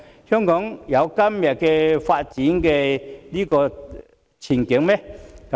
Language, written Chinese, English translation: Cantonese, 香港能有今天的發展嗎？, Would Hong Kong have achieved its present - day development?